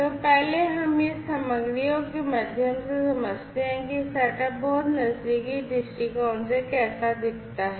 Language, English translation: Hindi, So, first let us go through these materials to understand, how this setup looks like from a much closer viewpoint